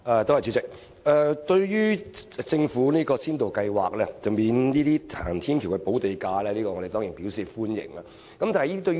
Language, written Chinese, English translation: Cantonese, 代理主席，對於政府這項先導計劃，即豁免興建行人天橋的申請人支付土地補價，我們當然表示歡迎。, Deputy President we certainly welcome this pilot scheme introduced by the Government of waiving the land premium for applicants for the construction of footbridges